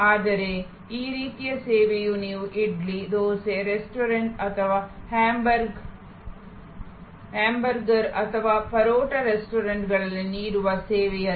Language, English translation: Kannada, But, that sort of service is not the service which you would offer at an idly, dosa restaurant or a hamburger or parotta restaurant